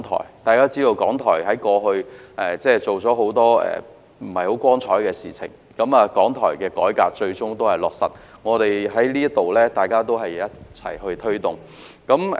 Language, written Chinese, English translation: Cantonese, 一如大家所知，港台過往有很多不大光彩的行為，改革港台的建議最終得到落實，是我們一起在此推動的成果。, As we all know RTHK has previously involved itself in quite a number of disgraceful acts and the final implementation of the proposal to reform RTHK is a result of our collective efforts here in this Council